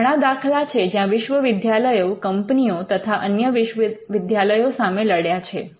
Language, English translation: Gujarati, So, there are in various cases where universities have fought with companies, universities have fought with other universities